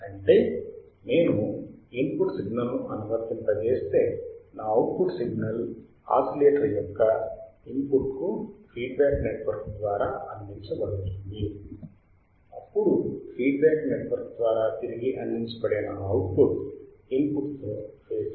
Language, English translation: Telugu, That means, if I apply a input signal my output signal is feedback through the feedback network to the input of the oscillator, then my output which is fed back through the feedback network should be in phase with the input signal that is my first condition right